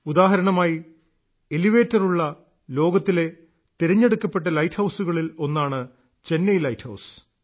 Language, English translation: Malayalam, For example, Chennai light house is one of those select light houses of the world which have elevators